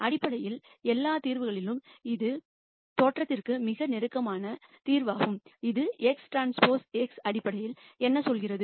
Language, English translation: Tamil, This basically says that of all the solutions I want the solution which is closest to the origin is what this is saying in terms of x transpose x